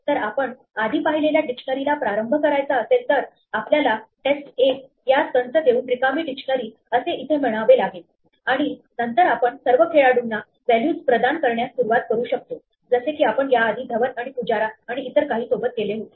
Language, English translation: Marathi, So, if you want to initialize that dictionary that we saw earlier then we would first say test 1 is the empty dictionary by giving it the braces here and then we can start assigning values to all the players that we had before like Dhawan and Pujara and so on